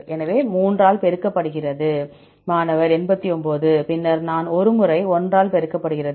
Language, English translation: Tamil, So, 3 multiplied by; 89 89, then what I is 1 time, 1 multiplied by